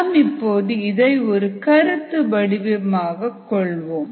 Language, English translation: Tamil, let us choose a conceptual system